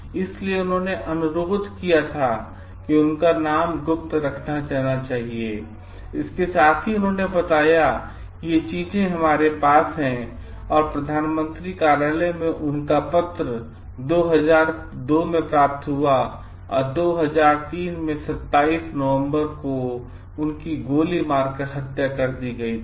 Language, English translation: Hindi, So, he was he requested his name to be kept secret, but at the same time so like he told like these are the things like we have noticed and like the Prime Minister s office received his letter in 2002 and in 2003, 27 November he was shot dead